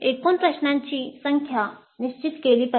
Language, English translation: Marathi, The total number of questions must be finalized